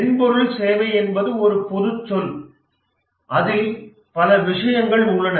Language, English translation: Tamil, But the term software service is an umbrella term